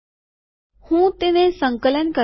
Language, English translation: Gujarati, Ill compile it